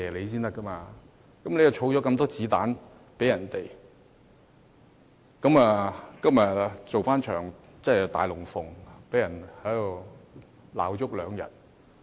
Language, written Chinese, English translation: Cantonese, 他們為泛民提供了很多"子彈"做一場"大龍鳳"，在這裏罵足兩天。, They have been providing so much ammunition to the pan - democrats that they are able to stage this show these two days with their endless criticisms